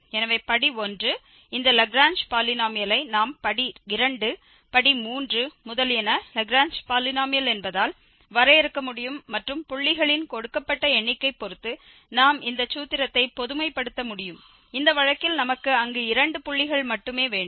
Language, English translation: Tamil, So, this Lagrange polynomial of degree 1 we can define Lagrange polynomial of degree 2, degree 3, etcetera and depending on the given number of points we can generalize this formula in this case we have only two points there